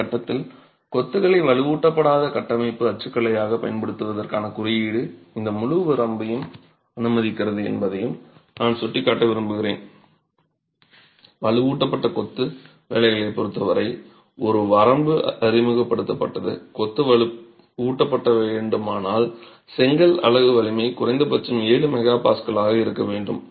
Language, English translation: Tamil, I would like to point out at this stage that while the code for use of masonry as an unreinforced structural typology permits this entire range as far as reinforced masonry is concerned a limit is introduced requiring that the brick unit strength be at least 7 megapascals if the masonry is going to be reinforced